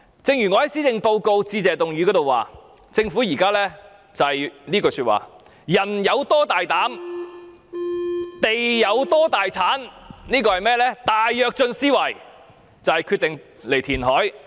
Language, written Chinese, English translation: Cantonese, 正如我在施政報告致謝議案的辯論中指出，政府現時的想法是"人有多大膽，地有多大產"，以大躍進思維決定填海。, As I pointed out in the debate on the Motion of Thanks the Government has now adopted the mentality of the Great Leap Forward in deciding to take forward the reclamation project . The belief of the Government is that the bolder the man is the higher yields the fields will turn out